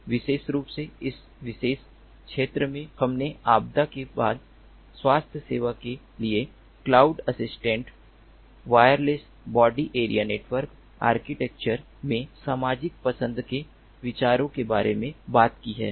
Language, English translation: Hindi, specifically, in this particular paper we have talked about social choice considerations in cloud assisted wireless body area network architecture for post disaster healthcare